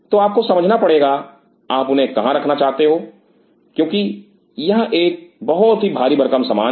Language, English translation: Hindi, So, you have to understand where you want to keep them because these are heaviest stuff